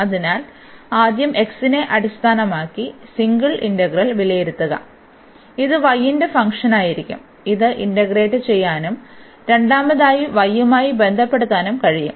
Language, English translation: Malayalam, So, first evaluate the singer integral with respect to x and this will be function of y, which can be integrated and second the step with respect to y